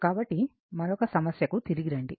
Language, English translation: Telugu, So, come back to another your problem